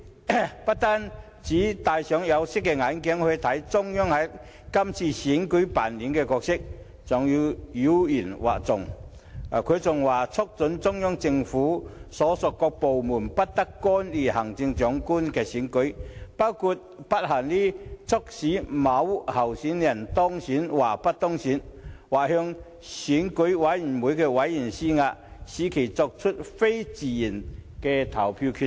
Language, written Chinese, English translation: Cantonese, 他不僅戴上有色眼鏡來看中央在這次選舉中扮演的角色，還妖言惑眾，更"促請中央人民政府所屬各部門不得干預行政長官選舉，包括但不限於促使某候選人當選或不當選，或向選舉委員會委員施壓，使其作出非自願的投票決定。, In addition to viewing through tinted glasses the role played by the Central Authorities in this election he has also spread fallacies and urged the various departments of the Central Peoples Government not to interfere in the Chief Executive Election including but not limited to causing a certain candidate to be or not to be elected or pressurizing members of the Election Committee EC into making voting decisions against their own wills